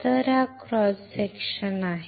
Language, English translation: Marathi, So, this is a cross section